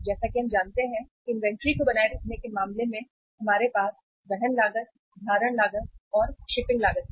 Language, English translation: Hindi, As we know that in case of maintaining inventory we have the carrying cost, holding cost, shipping cost